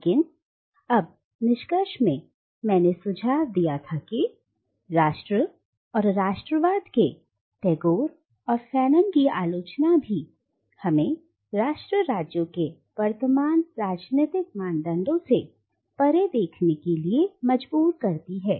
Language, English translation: Hindi, Now, but in the conclusion I had suggested that the criticism of Tagore and Fanon of nation and nationalism also compels us to look beyond the present political norm of nation states